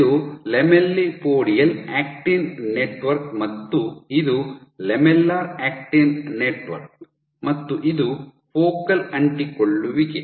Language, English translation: Kannada, So, this is your lamellipodial network, lamellipodial actin network, this is your lamellar actin network and this is your focal adhesion